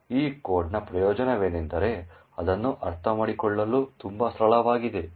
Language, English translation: Kannada, The advantage of this code is that it is very simple to understand